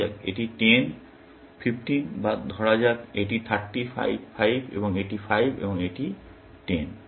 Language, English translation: Bengali, Let us say, this is 10, 5 or let us say, this is 30, 5, 5, and this is 5, and this is 10